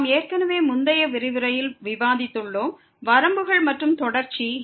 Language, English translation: Tamil, We have already discussed in the previous lecture Limits and Continuity